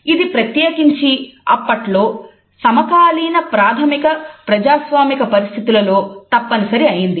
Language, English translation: Telugu, It was particularly important in the contemporary rudimentary democratic situations